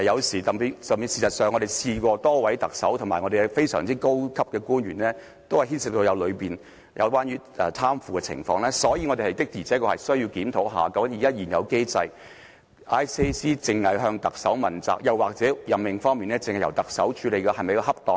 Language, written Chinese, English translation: Cantonese, 事實上，多位特首及非常高級的高官均牽涉貪腐，所以我們確實需要檢討究竟在現有機制下，廉署只向特首問責，或在任命方面只由特首處理是否恰當？, True enough a number of Chief Executives and high - ranking officials were also involved in corruption and thus we really have to review under the existing mechanism whether it is appropriate for ICAC to be accountable only to the Chief Executive or for the Chief Executive alone to deal with the appointments